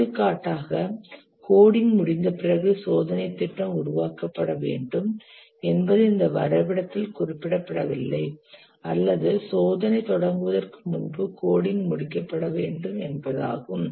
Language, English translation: Tamil, For example, the test plan should be created after the code that is not represented in this diagram or the code must complete before the testing starts